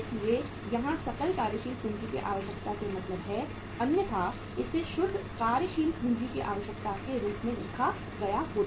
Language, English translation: Hindi, So gross working capital requirement means otherwise it would have been written as net working capital requirement